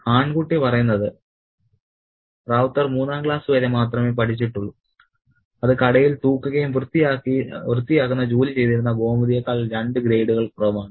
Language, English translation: Malayalam, The boy narrator says that Ravta had only studied up to the third class that was two grades less than Gomati who worked in the shop fetching and cleaning